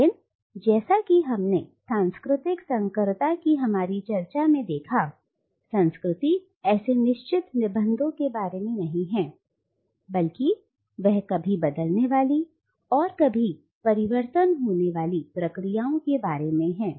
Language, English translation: Hindi, But as we have seen in our discussion of cultural hybridity, culture is not about such fixed essences but it is about ever changing and ever transforming processes